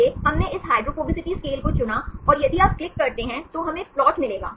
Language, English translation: Hindi, So, we selected this hydrophobicity scale and if you click, then we will get the plot